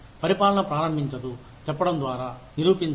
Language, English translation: Telugu, The administration does not start, by saying, prove it